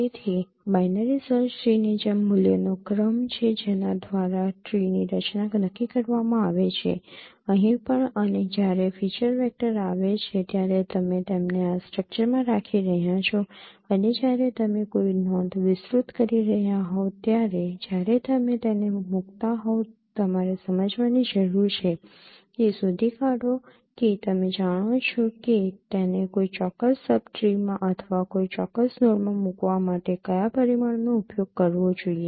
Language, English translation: Gujarati, So like binary search tree is the order of values by which a tree structure is determined here also as and when the feature vectors are coming you are keeping them into a in a in this structure and when you are expanding a node when you are placing it you need to understand find out that now which dimension to be used for placing it into a particular sub tree or in a particular node